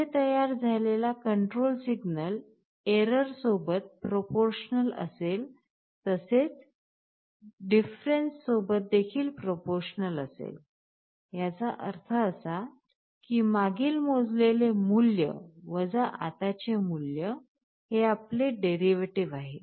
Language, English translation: Marathi, Here the control signal that you are generating will be proportional to the error plus it will also be the proportional to the difference; that means, you are measured value previous minus measured value present, this is your derivative